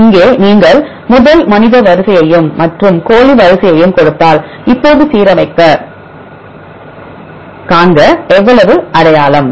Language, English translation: Tamil, So, here if you give the first human sequence and the chicken sequence; so now view the alignment; how much is the identity